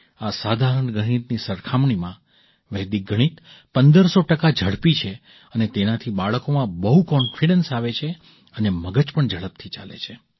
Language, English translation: Gujarati, Vedic maths is fifteen hundred percent faster than this simple maths and it gives a lot of confidence in the children and the mind also runs faster